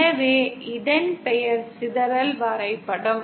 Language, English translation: Tamil, Hence the name, dispersion diagram